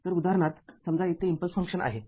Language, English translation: Marathi, So, this is all regarding impulse function